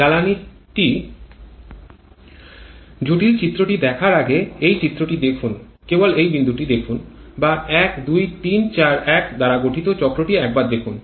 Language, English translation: Bengali, Just look at this diagram, before looking the complicated diagram just take a look at the points or the cycle formed by points 1 2 3 4 1